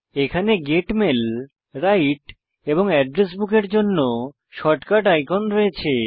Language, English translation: Bengali, For example, there are shortcut icons for Get Mail, Write, and Address Book